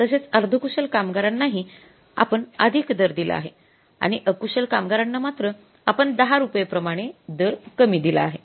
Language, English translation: Marathi, Semi skilled we have again paid the higher rate and for the unskilled we have paid the lesser rate by 10 rupees